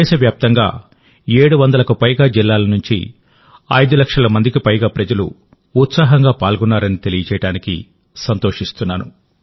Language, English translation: Telugu, I am glad to inform you, that more than 5 lakh people from more than 700 districts across the country have participated in this enthusiastically